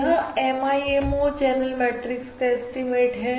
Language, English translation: Hindi, we want to estimate this MIMO channel matrix